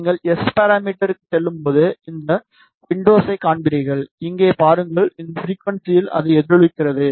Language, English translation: Tamil, When you go to S parameter, you will see this window just see here it is resonating at this frequency